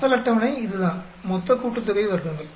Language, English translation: Tamil, , original table that is the total sum of squares